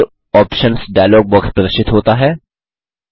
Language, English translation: Hindi, The Effects Options dialog box appears